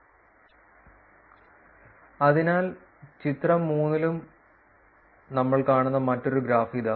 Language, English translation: Malayalam, So, here is another graph which we will see in figure 3 and figure 3 for that we will see